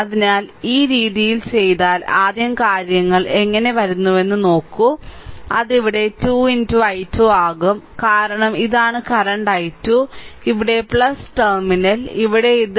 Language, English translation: Malayalam, So, if you do so, if you do so, this way then look how things are coming first it will be your I am making it here say 2 into i 2, 2 into i 2 because this is the current i 2 here plus terminal here this is plus